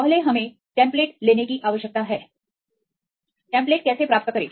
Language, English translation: Hindi, First we need to take the template; how to get the templates